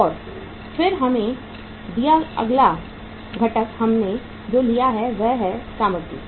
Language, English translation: Hindi, And then next item given to us is that is the we have taken the material